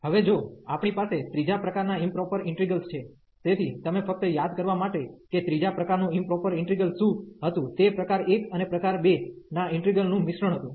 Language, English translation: Gujarati, Now, if we have the improper integrals of 3rd kind, so you just to recall what was the improper integral of third kind, it was the mixture of the integral of kind 1 and kind 2